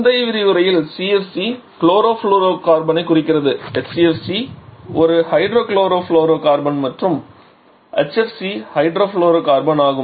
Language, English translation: Tamil, In the previous lecture has CFC refers to chlorofluorocarbon HCFC is a hydro chlorofluorocarbon and HFC is the hydro fluorocarbon